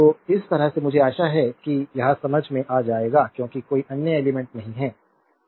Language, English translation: Hindi, So, this way you have to understand I hope you have understood this because no other element